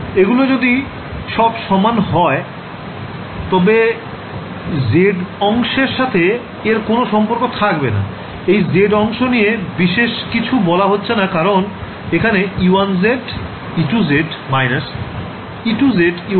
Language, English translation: Bengali, If everything is equal then there is no interface the z part right I have not said anything about the z part because I got e 1 multiplied by e 2 and e 2 multiplied by e 1